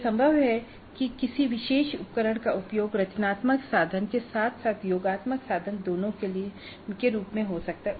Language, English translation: Hindi, It is possible that a particular instrument is used both as a formative instrument as well as summative instrument